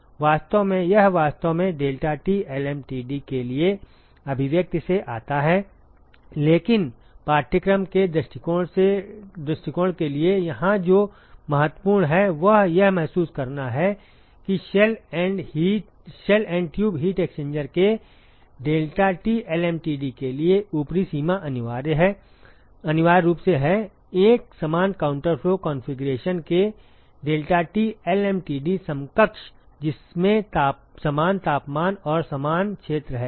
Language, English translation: Hindi, In fact, this actually comes from the expression for the deltaT lmtd, but what is important here for the course point of view is to realize that the upper bound for the deltaT lmtd of a shell and tube heat exchanger is essentially that of the deltaT lmtd equivalent deltaT lmtd of an equivalent counter flow configuration which has same temperature and same area ok